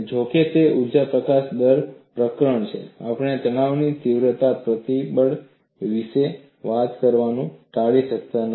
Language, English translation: Gujarati, Though it is the energy release rate chapter, we cannot avoid talking about stress intensity factor